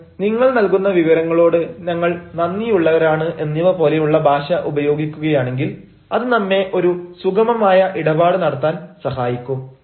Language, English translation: Malayalam, now, if, if we use a language like this, we are grateful for the information you will provide because it will help us have a smooth transaction